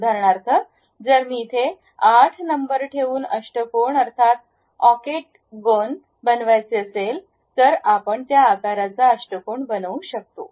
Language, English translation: Marathi, For example, if I am going to construct octagon by keeping 8 number there, we will construct octagon of that size